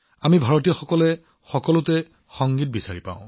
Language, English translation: Assamese, We Indians find music in everything